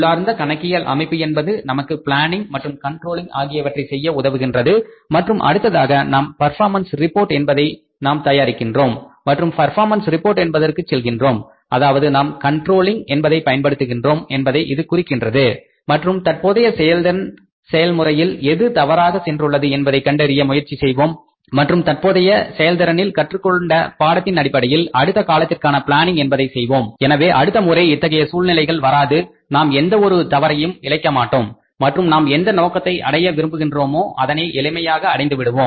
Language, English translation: Tamil, That is planning and controlling and internal accounting system that helps us in the planning and controlling and then we prepare the performance reports and when we go for the say performance reports means when we exercise the control then we try to find out what for the things which bent wrong in the current say performance process and we try to correct our next periods planning by drawing or learning lessons from the current performance or the present performance so that next time these things do not occur, we do not commit any mistakes and we easily achieve the targets which we wish to achieve